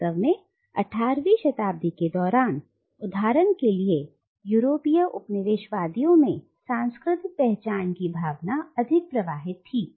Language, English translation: Hindi, In fact during the 18th century, for instance, the European colonisers had a much more fluid sense of cultural identity